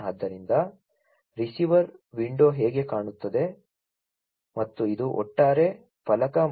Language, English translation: Kannada, So, this is how the receiver window looks like and this is the overall panel and